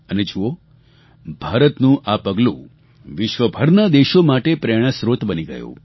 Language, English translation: Gujarati, And see how this initiative from India became a big source of motivation for other countries too